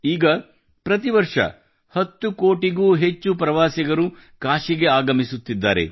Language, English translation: Kannada, Now more than 10 crore tourists are reaching Kashi every year